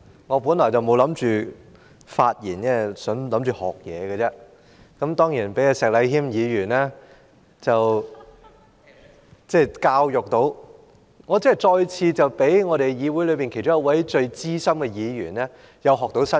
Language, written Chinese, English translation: Cantonese, 我本來不打算發言，只是想學習，當然，聽到石禮謙議員的發言，我真是再次從議會其中一位很資深的議員學到新知識。, I did not intend to speak but to learn from Members . Of course after listening to the speech of Mr Abraham SHEK I have really learnt something new from one of the very experienced Members in this Council again